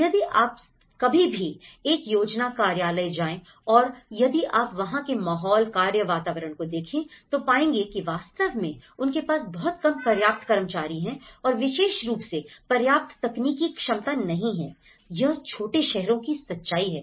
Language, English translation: Hindi, If you ever happened to go a planning office and if you look at the atmosphere, the working atmosphere, it’s really they have a very less adequate staff and also not having an adequate technical capacity especially, this is very true in the smaller towns